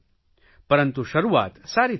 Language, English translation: Gujarati, But the start has been good